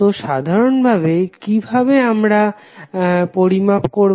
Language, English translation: Bengali, So, what we measure in general